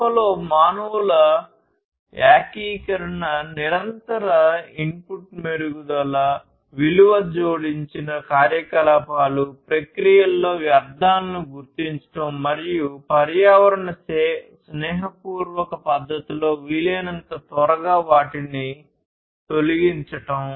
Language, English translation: Telugu, Concerns about the integration of humans in the plant; concerns about continuous input improvement; concerns on the value added activities; and identifying waste in the processes and eliminating them, as soon as possible, in an environment friendly manner